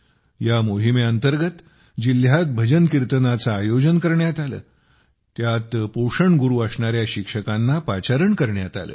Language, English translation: Marathi, Under this, bhajankirtans were organized in the district, in which teachers as nutrition gurus were called